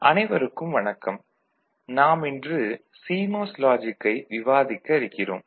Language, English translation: Tamil, Hello everybody, we discus today CMOS Logic